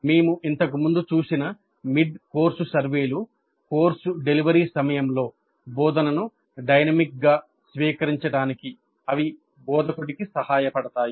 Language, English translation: Telugu, Mid course surveys which we saw earlier, they do help the instructor to dynamically adopt instruction during the course delivery